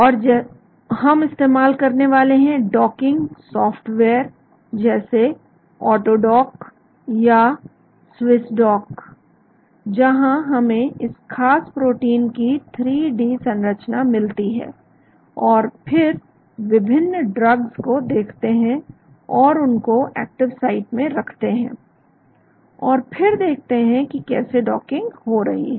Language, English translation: Hindi, And we are going to use docking software such as AutoDock or SwissDock, where we get the 3D structure of this protein of interest, and then look at different drugs and start placing them in the active site, and see how the docking takes place